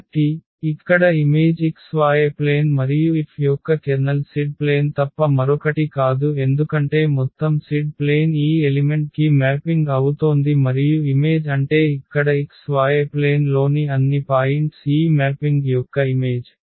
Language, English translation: Telugu, So, here the image is the xy plane and the kernel of F is nothing but the z axis because the whole z axis is mapping to this origin and the image means here that all the points in xy plane that is the image of this mapping